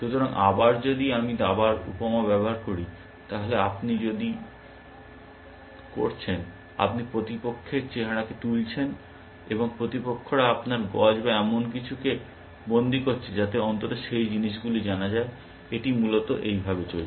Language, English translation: Bengali, So, again if I use a analogy of chess, then if you are doing, you are capturing the opponents look, and the opponents is capturing you bishops or something than at least those things are known, that this, this is are going away essentially